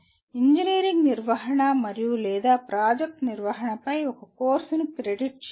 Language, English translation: Telugu, Credit a course on engineering management and or project management